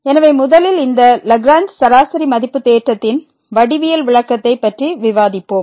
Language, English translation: Tamil, So, let us first discuss the geometrical interpretation of this Lagrange mean value theorem